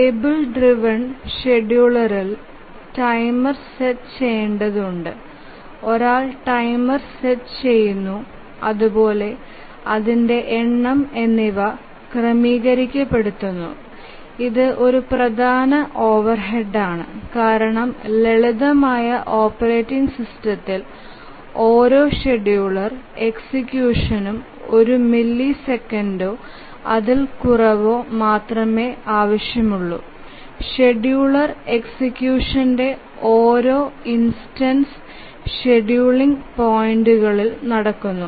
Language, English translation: Malayalam, The table driven scheduler is that requires setting up timers, one shot timers, and number of times and this is a major overhead because we are talking of simple operating system requiring only one millisecond or less for each scheduler execution, each instance of execution of scheduler at the scheduling points